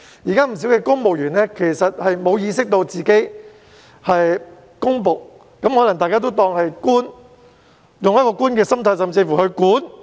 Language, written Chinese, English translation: Cantonese, 現時不少公務員沒有意識到自己是公僕，他們可能只當自己是"官"，用為官的心態甚麼也要"管"。, At present quite many civil servants are not aware that they are public servants . They only regard themselves as officials who take charge of everything